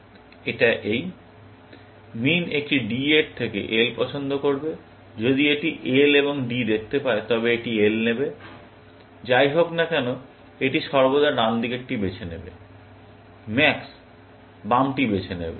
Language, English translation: Bengali, It means, min will prefer L to a D; if it can see L and D, it will take L, whatever, it will always choose the right most; max will choose the left most